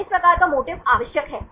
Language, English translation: Hindi, So, this type of motif is essential